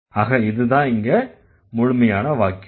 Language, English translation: Tamil, So, that is also full sentence